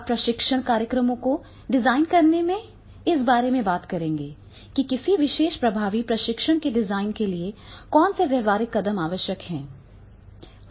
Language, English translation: Hindi, Now in designing the training programs we will talk about that is what practical steps are required for designing a particular effective training